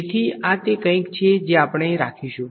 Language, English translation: Gujarati, So, this is something that we will keep